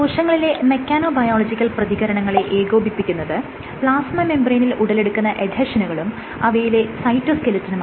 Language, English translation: Malayalam, So, mechanbiological responses are coordinated by plasma membrane adhesions and the cytoskeleton